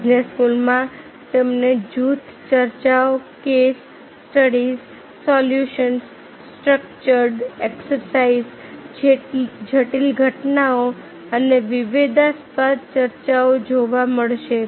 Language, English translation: Gujarati, you will find the group discussions, case studies, simulations, structured exercises, critical incidents and controversial debates